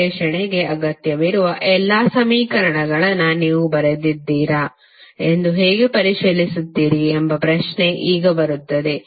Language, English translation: Kannada, Now the question would come how you will verify whether you have written the all the equations which are required for the analysis